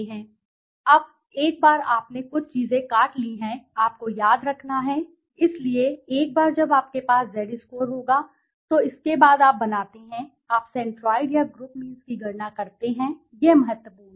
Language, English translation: Hindi, Now once you have cut off, few things you have to remember, so once you have the Z scores, then after this you create, you calculate the centroids or the group means, the centroids or the group means, this is important